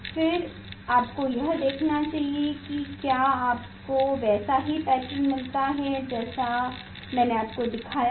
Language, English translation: Hindi, then you should what is the type of pattern you should get that I have shown you